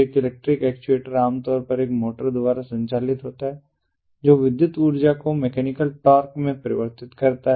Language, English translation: Hindi, an electric actuator is generally powered by a motor that converts electrical energy into mechanical torque